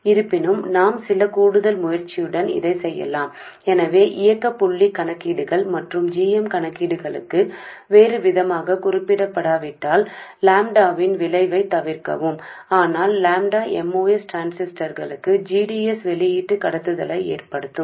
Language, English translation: Tamil, So unless otherwise mentioned for operating point calculations and for GM calculations omit the effect of lambda but the lambda will cause the most transistor to have an output conductance GDS